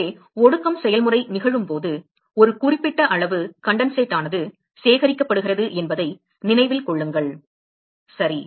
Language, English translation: Tamil, So, remember that when the condensation process occurs there is a certain amount of condensate which is being collected right